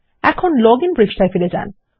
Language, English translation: Bengali, Now Ill go back to the login page